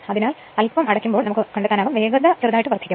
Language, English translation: Malayalam, So, little bit you will find as soon you close it you will the speed is slightly increase